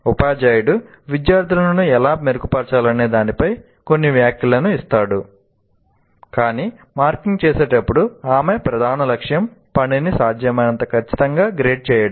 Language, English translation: Telugu, Teacher gives students some comments on how to improve, but her main aim when marking is to grade the work as accurately as possible